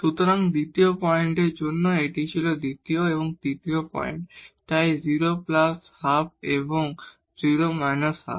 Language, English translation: Bengali, So, for the second point this was second and third points, so 0 plus half and 0 minus half